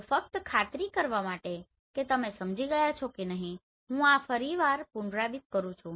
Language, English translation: Gujarati, So just to make sure whether you have understood this or not I am going to repeat this once again